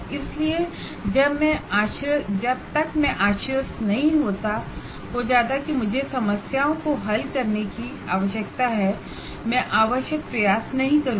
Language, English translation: Hindi, So unless I am convinced that I need to solve problems, I will not put the required effort